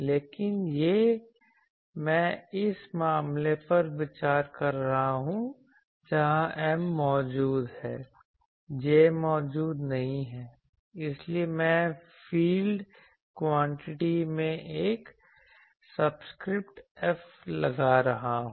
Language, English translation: Hindi, But that this I am considering this case, where M is present, J is absent; so, I am putting a subscript F in the field quantities